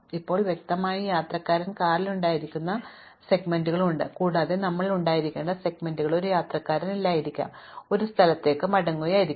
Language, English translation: Malayalam, Now, obviously there are segments where that the passenger is in the car and there are segments where we may not have to be may not have a passenger, he may have been returning to a place to pick up